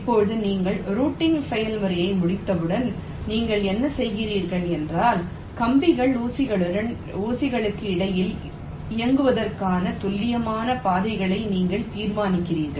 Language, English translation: Tamil, now, once you complete the process of routing, what you do is that you actually determine the precise paths for the wires to run between the pins so as to connect them